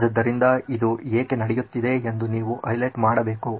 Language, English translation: Kannada, So you have to highlight why is this happening